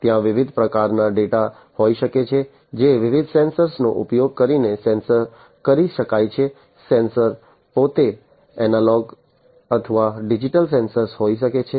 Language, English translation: Gujarati, And there can be different types of data, that can be sensed using different sensors, the sensors themselves can be analog sensors or digital sensors